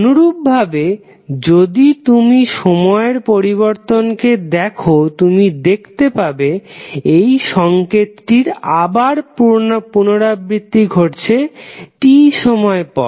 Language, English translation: Bengali, Similarly if you see the time variation you will see that the signal is repeating again after the time T